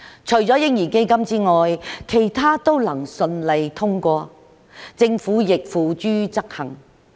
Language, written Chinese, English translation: Cantonese, 除了嬰兒基金之外，其他都能夠順利通過，政府亦付諸執行。, Apart from the baby fund all other motions were successfully passed and the Government has implemented the proposals in these motions